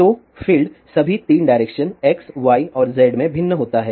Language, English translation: Hindi, So, the field varies in all the 3 directions x, y and z